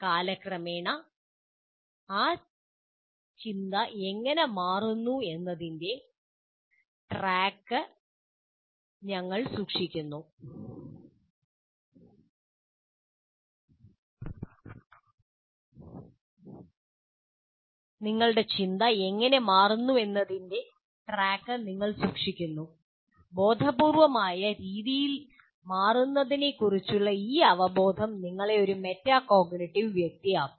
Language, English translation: Malayalam, And this awareness of the changing with over time in a conscious way is makes you a metacognitive person